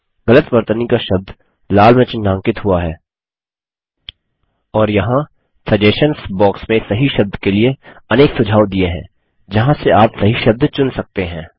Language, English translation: Hindi, The word with the wrong spelling is highlighted in red and there are several suggestions for the correct word in the Suggestions box from where you can choose the correct word